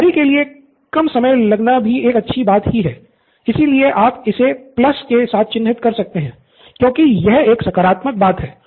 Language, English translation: Hindi, Less time for preparation and that’s a good thing, so you can mark it with a plus, because that is a positive